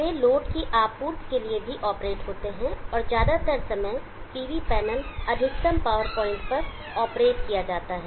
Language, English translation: Hindi, They are operated to although supplying to the load and most of the time the PV panels are supposed to be operated at maximum power of point